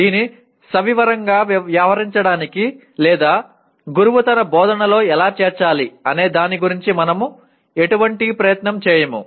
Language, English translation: Telugu, We do not make any attempt at all to deal with it in detailed way nor about how the teacher should incorporate that into his instruction